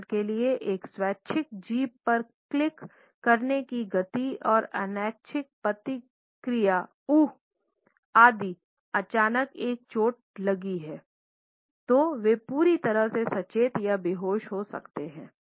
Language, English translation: Hindi, For example, a voluntary tongue clicking in impatiens and involuntary reaction ooh if suddenly one is hurt, they may be conscious as well as totally unconscious